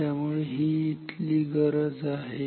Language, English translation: Marathi, So, this is the requirement